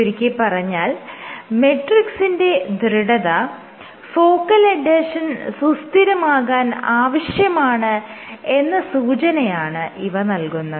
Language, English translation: Malayalam, So, this suggests that matrix stiffness is necessary for focal adhesion stabilization